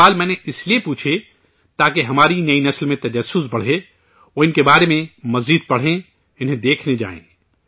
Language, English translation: Urdu, I asked these questions so that the curiosity in our new generation rises… they read more about them;go and visit them